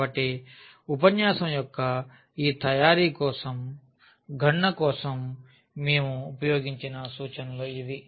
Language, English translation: Telugu, So, these are the references we have used for the computation for this preparation of the lecture and